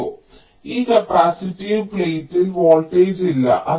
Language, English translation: Malayalam, so across this capacitive plate there is no voltage